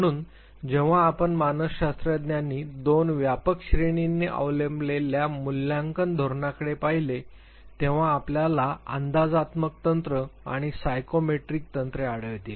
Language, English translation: Marathi, So, when you look at the assessment strategies that are adopted by psychologist two broad categories you will find the projective techniques and the psychometric techniques